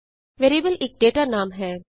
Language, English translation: Punjabi, Variable is a data name